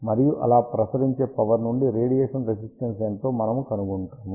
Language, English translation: Telugu, And from the power radiated, we find out what is the radiation resistance